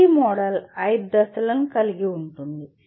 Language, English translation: Telugu, ADDIE Model has 5 phases